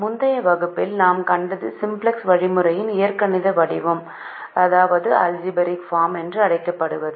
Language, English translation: Tamil, what we saw in the previous class is called the algebraic form of the simplex algorithm